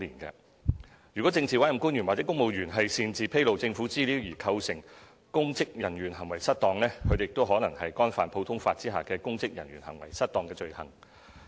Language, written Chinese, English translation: Cantonese, 如政治委任官員或公務員擅自披露政府資料而構成公職人員行為失當，他們亦可能干犯普通法下的"公職人員行為失當"罪行。, PAOs or civil servants may also be subject to the common law offence of Misconduct in Public Office if the act of unauthorized disclosure of government information constitutes a misconduct of their public office